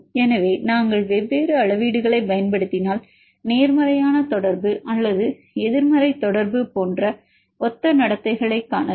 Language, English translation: Tamil, So, this case if we use different scales you can see similar behavior of positive correlation or the negative correlation